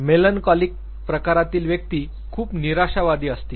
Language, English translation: Marathi, People who are melancholic type, they would largely be depressed